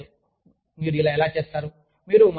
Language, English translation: Telugu, I do not know, how you are doing it